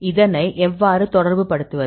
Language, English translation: Tamil, So, how to relate